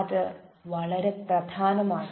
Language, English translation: Malayalam, that is very important